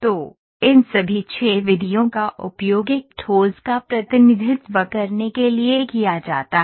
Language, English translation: Hindi, So, all these 6 methods are used to represent a solid